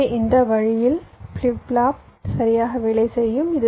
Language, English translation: Tamil, so so in this way the flip flop will go on working right